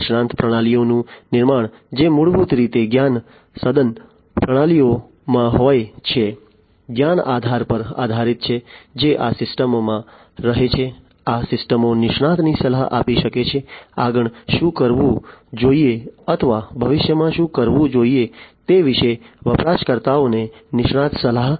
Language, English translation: Gujarati, Building expert systems, which are basically in knowledge intensive systems, based on the knowledge base, that is resident in these systems, these systems can provide expert advice; expert advice to users about what should be done next or what should be done in the future